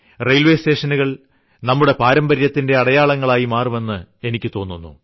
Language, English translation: Malayalam, It seems that our railway stations in themselves will become the identity of our tradition